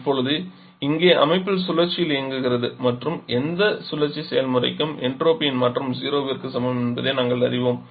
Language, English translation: Tamil, Now here the system is working over cycle and we know that for any cyclic process the change in entropy is equal to zero